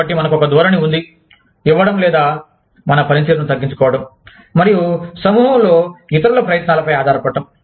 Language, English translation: Telugu, So, we have a tendency, to give away, or reduce our performance, and rely on the efforts of others, in the group